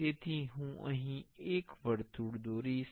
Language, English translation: Gujarati, So, I will draw the circle one circle here